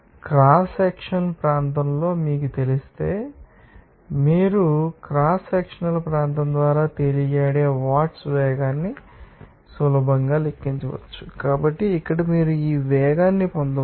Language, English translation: Telugu, And if you know that cross sectional area, then you can easily calculate watts velocity simply volumetric floated by cross sectional area, so, here you can get this velocity